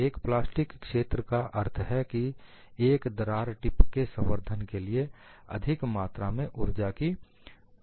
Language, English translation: Hindi, A large plastic zone means that a large amount of energy is required to advance a crack tip